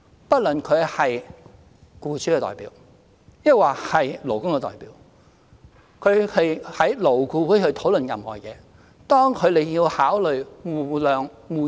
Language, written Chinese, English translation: Cantonese, 不論他們是僱主的代表還是勞工的代表，當他們在勞顧會討論任何事情時，都要考慮互諒互讓。, Regardless of whether they represent employers or employees they must consider acting on the basis of mutual understanding and accommodation when discussing any issues in LAB